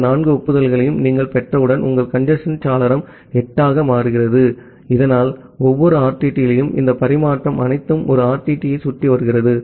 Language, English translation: Tamil, Then once you are receiving all these four acknowledgements, your congestion window becomes 8, so that way at every RTT and all of this transmission takes around one RTT